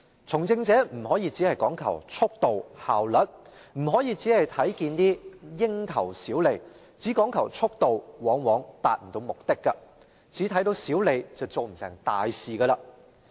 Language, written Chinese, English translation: Cantonese, "從政者不能只講求速度、效率；只看蠅頭小利，只講求速度，往往達不到目的；只看到小利便不能成大事。, People in politics cannot just care about speed and efficiency; if they look only at petty profit or are concerned only with speed they often cannot achieve their aims . One cannot make great achievements if one sees only petty profit